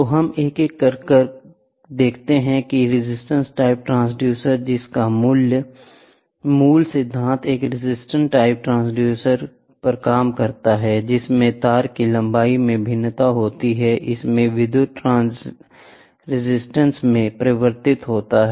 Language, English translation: Hindi, So, let us see one by one, resistance type transducer, the basic principle of which is a resistance type pressure transducer works in which the variation in the length of the wire causes a change in it is electrical resistance